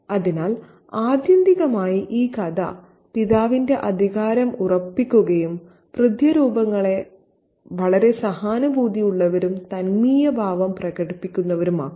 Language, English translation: Malayalam, So, ultimately, this story asserts the authority of the father and makes father figures very, very empathetic and sympathetic